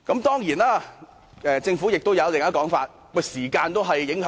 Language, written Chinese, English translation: Cantonese, 當然，政府亦有另一種說法，是時間因素。, Of course the Government has made another point which is the time factor